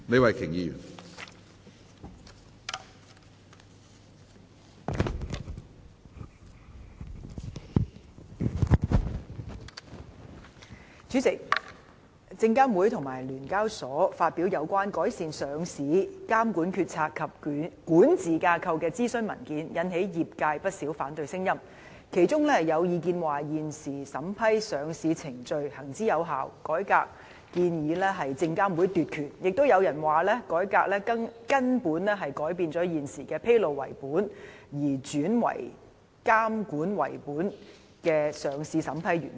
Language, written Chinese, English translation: Cantonese, 主席，證券及期貨事務監察委員會和香港聯合交易所有限公司發表有關"改善上市監管決策及管治架構"的諮詢文件，引起業界不少反對聲音，其中有意見指現時審批上市程序行之有效，改革建議是證監會想奪權；亦有人指改革會根本改變現時的上市審批原則，由披露為本，轉為監管為本。, President the consultation paper on Proposed Enhancements to the Stock Exchange of Hong Kong Limiteds Decision - Making and Governance Structure for Listing Regulation released by the Securities and Futures Commission SFC and The Stock Exchange of Hong Kong Limited SEHK has aroused lots of opposing voices from the industry . There are views among others that the process of vetting and approving listing applications has been effective the reform proposals are just meant to serve SFCs purpose of usurping power . There are also views that the proposed reform will mean an overhaul to the existing principles of vetting and approving listing applications turning a disclosure - based system into a regulation - based one